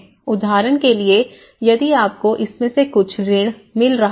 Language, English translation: Hindi, Like for instance, if you are getting some loan out of it